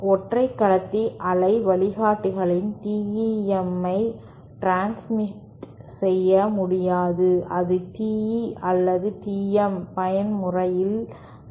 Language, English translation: Tamil, And single conductor waveguides cannot transmit TEM mode, they have to classmate to either TE or TM mode